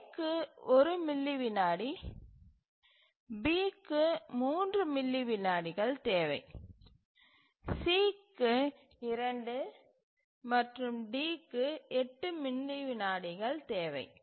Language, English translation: Tamil, So, A requires 1 millisecond, B requires 3 millisecond, C requires 2 and D requires 8 millisecond